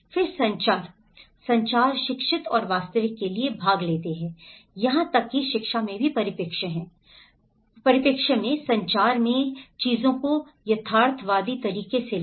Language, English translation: Hindi, Then the communication, communicate, educate and participate for the real so, even in the education perspective, in the communication, take things in a realistic way